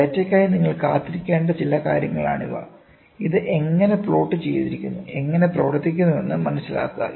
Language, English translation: Malayalam, These are some of the things which you will have to look forward for data and understand how is it plotted how does it work, ok